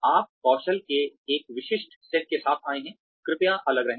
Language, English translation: Hindi, You have come with a specific set of skills, please remain distinct